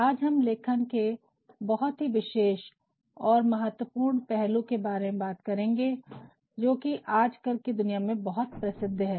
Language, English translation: Hindi, Today, we are going to talk about one very important and specific aspect of writing, which has become quite prominent in today's world